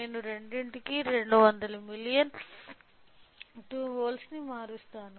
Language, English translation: Telugu, So, I will change both is of 200 million 2 volts